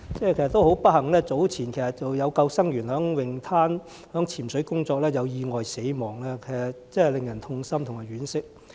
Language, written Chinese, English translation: Cantonese, 很不幸，早前有救生員在泳灘執行潛水工作時意外身亡，令人痛心和惋惜。, Unfortunately a lifeguard died in an earlier accident while he was performing diving duties at a beach . This is heartrending and saddening